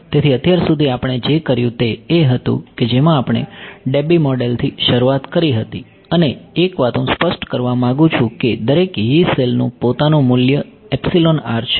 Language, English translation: Gujarati, So, so far what we did was, we started with the Debye model and one thing I want to clarify is that every Yee cell has its own value of epsilon r ok